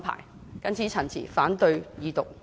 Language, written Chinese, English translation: Cantonese, 我謹此陳辭，反對二讀。, With these remarks I oppose the Second Reading